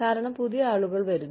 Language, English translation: Malayalam, Because, newer people are coming in